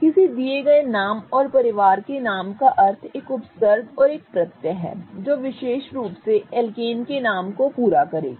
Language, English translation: Hindi, Representing a given name and a family name, meaning a prefix and a suffix will complete the name of the particular alkan